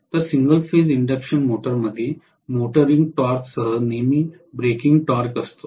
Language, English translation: Marathi, So single phase induction motor will always have breaking torque along with motoring torque